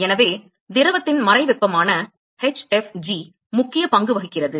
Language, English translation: Tamil, So, hfg which is the latent heat of the fluid plays an important role